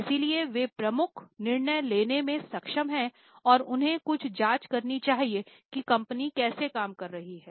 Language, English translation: Hindi, So, they are able to take major decisions and they should have some check on how the company is functioning